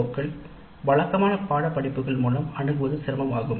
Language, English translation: Tamil, It is very difficult to address these through conventional courses that exist in the present day curricula